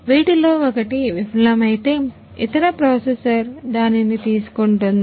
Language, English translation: Telugu, If one of these fails the other processor will take over it